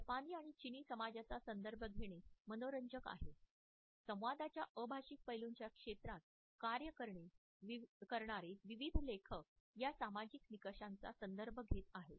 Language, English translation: Marathi, It is interesting to refer to the Japanese and the Chinese societies, various authors who have worked in the area of nonverbal aspects of communication have referred to these societal norms